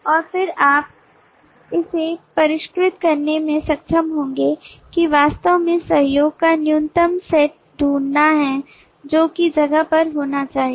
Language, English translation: Hindi, and you will be able to then refine it to actually find the minimal set of collaboration that need to be in place